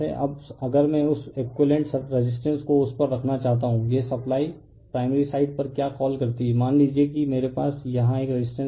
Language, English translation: Hindi, Now, if I want to put that equivalent resistance similar to that on the this supply your what you call on the primary side in suppose I have a resistance here